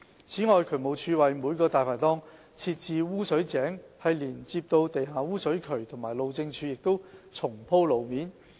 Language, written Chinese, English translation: Cantonese, 此外，渠務署為每個"大牌檔"設置污水井連接到地下污水渠及路政署亦重鋪路面。, Besides the Drainage Services Department installed sewer manholes connecting to underground sewers for each Dai Pai Dong and the Highways Department conducted resurfacing works